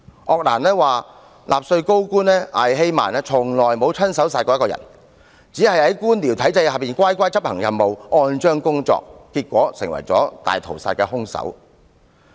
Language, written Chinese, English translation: Cantonese, 鄂蘭說的納粹高官艾希曼從未親手殺過一個人，只是在官僚體制下乖乖地執行任務，按章工作，結果成為大屠殺的兇手。, ARENDT says Adolf EICHMANN has never personally killed anyone . He only obediently carried out his duty and followed orders under the bureaucratic system but consequently he became a murderer during the holocaust